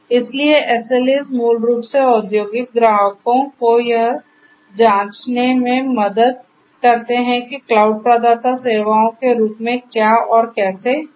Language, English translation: Hindi, So, SLAs basically help the industrial clients to check what and how the cloud provider gives as services